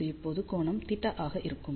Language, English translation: Tamil, So, this will be now this angle is theta